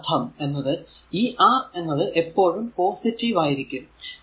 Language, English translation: Malayalam, So, this is that means, p; that means, R is always positive, and it is v square